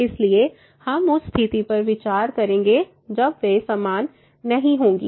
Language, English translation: Hindi, So, we will consider the case when they are not same